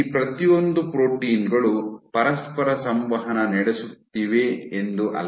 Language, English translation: Kannada, It is not that each of these proteins is interacting with each other